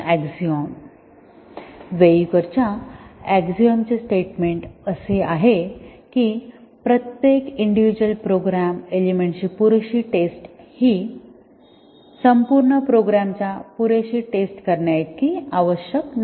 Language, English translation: Marathi, The statement of his axiom is that adequate testing of each individual program components does not necessarily suffice adequate test of entire program